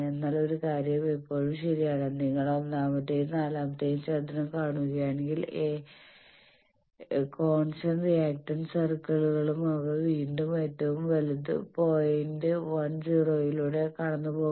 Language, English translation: Malayalam, But one point is still true that if you see the first and fourth quadrant that all the circles of constant reactance circle they are again passing through the right most point 1 0